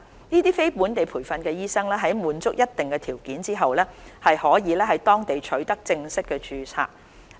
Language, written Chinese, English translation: Cantonese, 這些非本地培訓醫生在滿足一定條件後，便可在當地取得正式註冊。, Subject to certain criteria being met NLTDs will be granted full registration in the respective countries